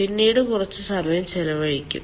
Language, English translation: Malayalam, let me spend some time on this